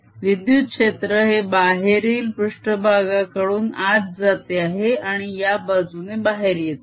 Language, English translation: Marathi, the electric field is going in on the outer surface right and coming out on this side